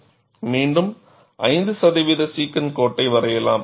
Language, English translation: Tamil, And what is the 5 percent secant line